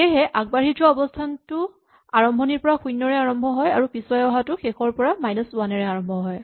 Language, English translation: Assamese, So, the forward position start from 0 from the beginning and the reverse position start from minus 1 from the last element